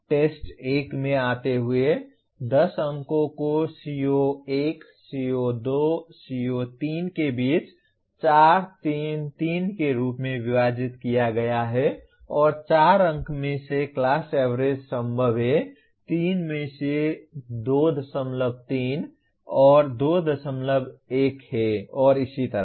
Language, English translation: Hindi, Okay coming to test 1, 10 marks are divided between CO1, CO2, CO3 as 4, 3, 3 and the class average out of 4 marks that are possible is 2